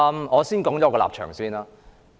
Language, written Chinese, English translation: Cantonese, 我先說說我的立場。, I will first state my position